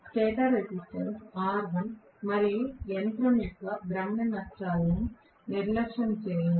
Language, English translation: Telugu, Neglect stator resistance r1 and rotational losses of the machine